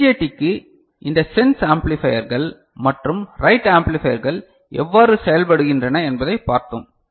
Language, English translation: Tamil, And for BJT we have seen how these sense amplifiers and write amplifiers work